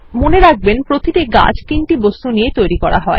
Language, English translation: Bengali, Now remember, each tree is made up of three objects